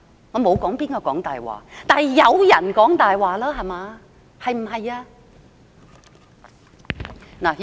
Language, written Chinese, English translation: Cantonese, 我沒有說誰講大話，但有人在講大話，對不對？, I did not say who is lying but someone is lying right? . Members of the media outside asked this question just now